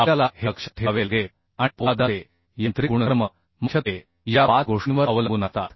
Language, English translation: Marathi, we have to keep in mind and mechanical properties of the steel largely depends on this five uhh things